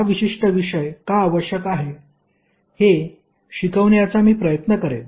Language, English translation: Marathi, I will try to understand why this particular this subject is required